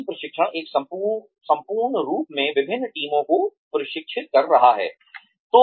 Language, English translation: Hindi, Team training is, training different teams, as a whole